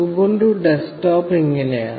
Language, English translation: Malayalam, So, this is how the Ubuntu desktop looks like